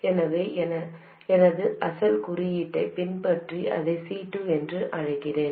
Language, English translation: Tamil, So let me call this C2 following my original notation